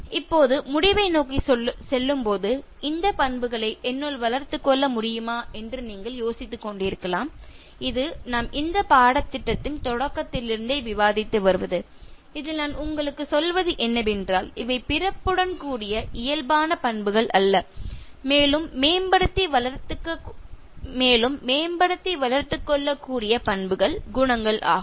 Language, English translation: Tamil, Now towards conclusion, you might be wondering is it possible for me to develop these traits in me and this is something that we’ve been discussing from the beginning of the course where I have been telling you that, these are not something that is inborn traits and these are characteristics, qualities which can be developed and enhanced